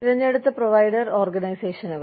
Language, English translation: Malayalam, Preferred provider organizations